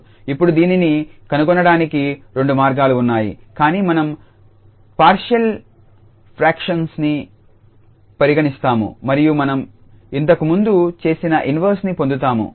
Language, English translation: Telugu, So, there are two ways now to go with either we can go with the partial fractions and then we can get the inverse which we have already done before